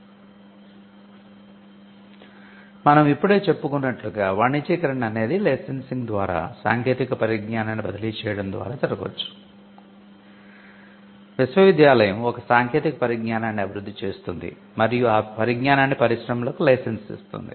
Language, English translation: Telugu, So, commercialization as we just mentioned could happen by transfer of technology by licensing, the university develops a technology and it licenses said to members in the industry